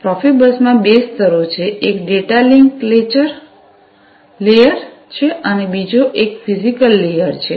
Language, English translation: Gujarati, So, Profibus has two layers; one is the data link layer and the other one is the physical layer